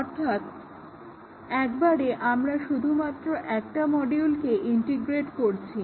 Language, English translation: Bengali, So at a time we integrate only one module